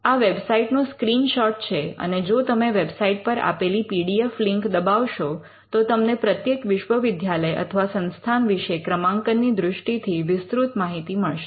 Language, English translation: Gujarati, Now, this is a screenshot from the website and if you can click on the PDF link at the website, it will show the details of how each university or each institute fair in the ranking